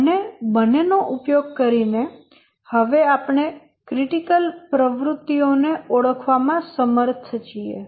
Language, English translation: Gujarati, Now we are able to identify the critical activities